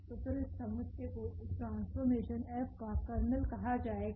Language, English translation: Hindi, So, then this set will be called the kernel of this mapping F